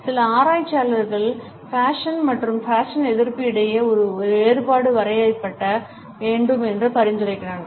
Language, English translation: Tamil, Some researchers suggest that a distinction has to be drawn between fashion and anti fashion